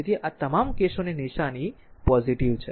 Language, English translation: Gujarati, So, all these cases sign is positive